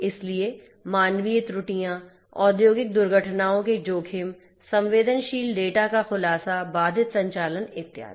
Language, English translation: Hindi, So, human errors, there are risks of industrial accidents, disclosure of sensitive data, interrupted operations and so on